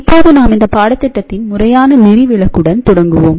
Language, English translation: Tamil, So, lets start with the formal outline of the course